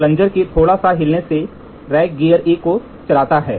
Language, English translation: Hindi, A small movement of the plunger causes the rack to turn a gear A